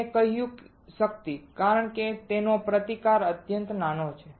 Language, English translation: Gujarati, I said power, because the resistance of this is extremely small